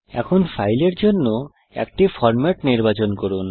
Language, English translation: Bengali, Now let us select a format for the file